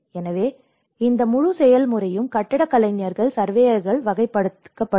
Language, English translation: Tamil, So, that is where this whole process has been categorized with the architects, surveyors